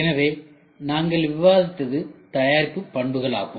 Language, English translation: Tamil, So, product characteristics we were discussing